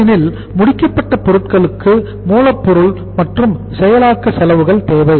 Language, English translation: Tamil, Because finished goods requires raw material plus the processing expenses